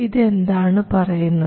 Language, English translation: Malayalam, Now what is this saying